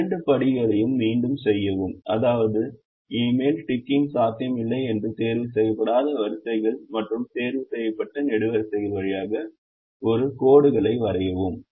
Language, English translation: Tamil, repeat these two steps, such that no more ticking is possible, and draw a lines through unticked rows and ticked columns